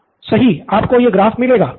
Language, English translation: Hindi, Right you get this graph